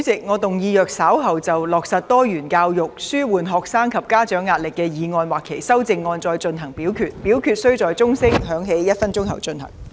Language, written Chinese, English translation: Cantonese, 主席，我動議若稍後就"落實多元教育紓緩學生及家長壓力"所提出的議案或修正案再進行點名表決，表決須在鐘聲響起1分鐘後進行。, President I move that in the event of further divisions being claimed in respect of the motion on Implementing diversified education to alleviate the pressure on students and parents or any amendments thereto this Council do proceed to each of such divisions immediately after the division bell has been rung for one minute